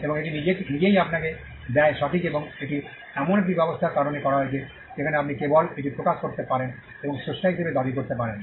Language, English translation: Bengali, And that itself gives you are right and, that is done because of an arrangement, where you can just publish it and claim to be the creator